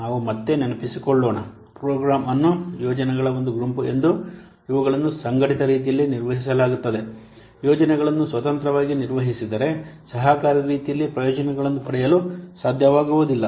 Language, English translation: Kannada, Let us recall again a program is a group of projects which are managed in a coordinated way, in a collaborative way to gain benefits that would not be possible if the projects would have been managed independently